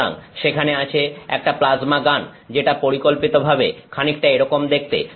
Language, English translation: Bengali, So, there is a plasma gun which schematically looks something like this